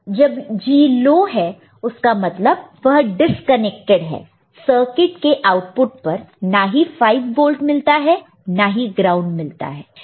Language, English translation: Hindi, When G is low; that means, it is disconnected the circuit, at the output does not get either 5 volt or ground, any of them it is not getting ok